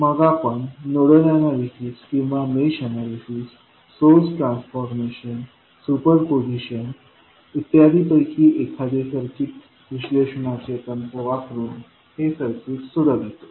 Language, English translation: Marathi, And then we solve this circuit laplace using any circuit analysis technique that maybe nodal analysis or mesh analysis, source transformation superposition and so on